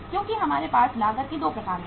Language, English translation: Hindi, Because we have 2 kinds of the cost